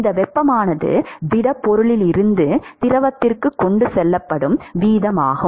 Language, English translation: Tamil, What will be the total rate of heat transport from the solid to the fluid